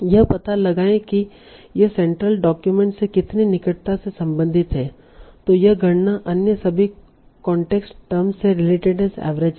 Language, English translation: Hindi, So find out how closely it relates to the central document by computing its average relatedness to all other context terms